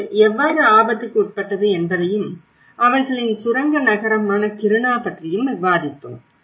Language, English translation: Tamil, How it has been subjected to risk and we also discussed about Kiruna, their mining town